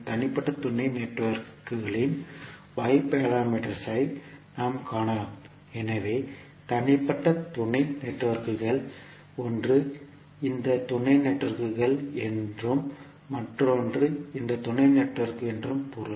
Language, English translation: Tamil, We can find the Y parameters of individual sub networks, so individual sub networks means one is this sub networks and another is this sub network